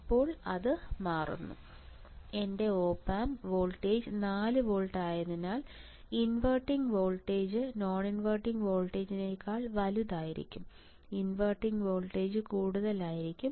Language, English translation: Malayalam, Now, this becomes; let us say because of my op amp becomes 4 volts will come here, then inverting would be greater than non inverting right voltage at inverting will be more than voltage at invert non inverting